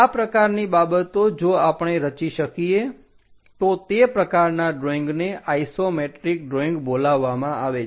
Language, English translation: Gujarati, Such kind of things if we can construct it that kind of drawings are called isometric drawings